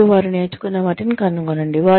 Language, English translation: Telugu, And find, what they have learnt, along the way